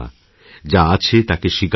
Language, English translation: Bengali, Accept things as they are